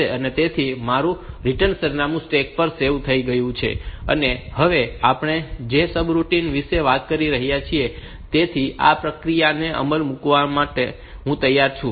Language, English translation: Gujarati, So, that my return address is saved onto the stack, and now I am ready to start execution of this of the procedure the of the subroutine that we are talking about